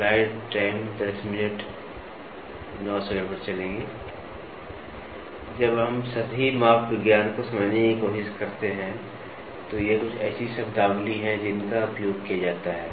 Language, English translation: Hindi, When we try to understand the surface metrology, these are some of the terminologies which are used